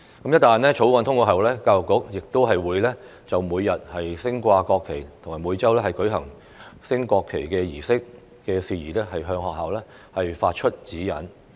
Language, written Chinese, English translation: Cantonese, 一旦《條例草案》通過後，教育局會就每日升掛國旗及每周舉行升國旗儀式的事宜，向學校發出指引。, Upon passage of the Bill the Education Bureau will give directions to schools for matters relating to the daily display of the national flag and the weekly conduct of a national flag raising ceremony